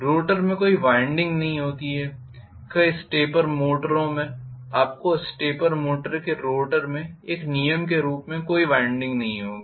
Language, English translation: Hindi, The rotor does not have any winding in many of the stepper motors you will not have a winding as a rule in the rotor of a stepper motor